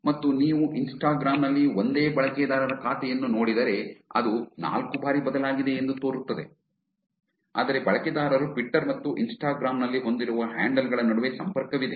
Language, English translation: Kannada, And if you look at the same user account and Instagram, this seems to have also changed four times, but there is a connection between the user handles that the person had in Twitter and in Instagram also